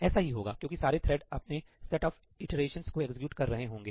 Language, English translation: Hindi, It has to, because each thread will be executing its own set of iterations